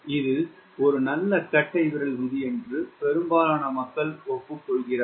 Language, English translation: Tamil, but most people agree this is a good thumb rule